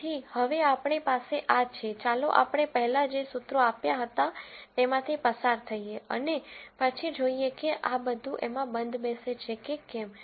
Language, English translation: Gujarati, So, this is what we have this now, let us go through the formulae that we had before and then see whether all of this fits in